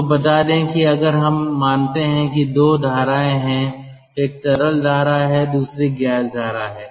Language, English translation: Hindi, let me tell you that if we consider that there are two streams, one is a liquid streams, another is a gas stream